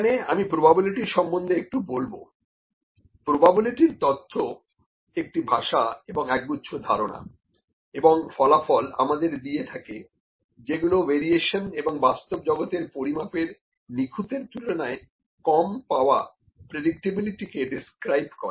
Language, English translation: Bengali, So, I will talk a little about probability here, theory of probability provides a language and a set of concepts and results directly relevant to describing the variation and less than perfect predictability of the real world measurements